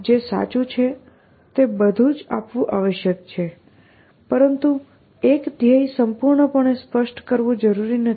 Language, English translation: Gujarati, Everything that is true must be given, but a goal does not have to be completely specified